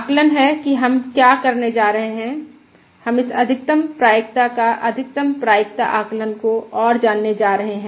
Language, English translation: Hindi, Today, what we are going to do is we are going to explore this Maximum Likelihood Estimate further